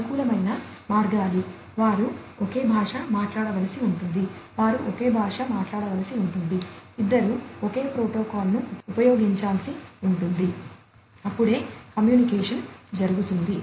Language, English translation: Telugu, Compatible means, that they have to talk the same language, they will have to talk the same language, basically you know, both will have to use the same protocol then only the communication can happen